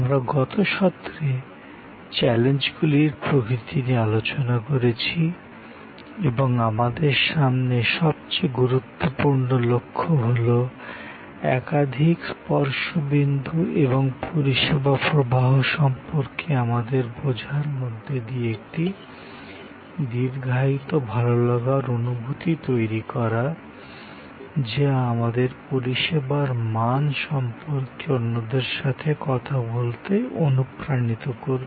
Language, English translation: Bengali, We discussed in the last session, the nature of challenges and the most important goal that we have is to create in some way through a series of touch points and our understanding of the service flow, a lingering good feeling at the end of the experience that will inspire us to talk to others about the goodness of a service